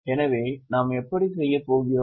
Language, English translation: Tamil, So, how shall we go about